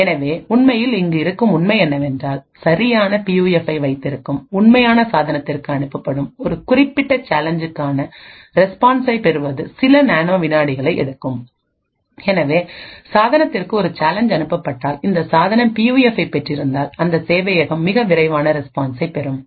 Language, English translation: Tamil, So the fact that is actually use over here is that is for a particular challenge that is sent to the actual device that owns the right PUF, obtaining the response will just take a few nanoseconds therefore, if a challenge is sent to the device which actually has the PUF the server would obtain the response very quickly